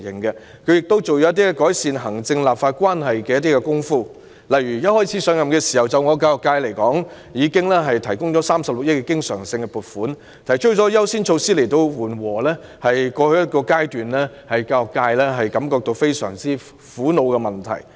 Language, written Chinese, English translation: Cantonese, 她亦就改善行政立法關係下了一些工夫，例如對我所屬的教育界，她一上任已提出增加36億元的經常性撥款，又提出優先措施紓緩過去一段時間令教育界大感苦惱的問題。, She also made efforts to improve the relationship between the executive and the legislature . For example for the education sector to which I belong right after her assumption of office she proposed increasing the recurrent expenditure by 3.6 billion . She also rolled out priority measures to alleviate the problems which had plagued the education sector in the past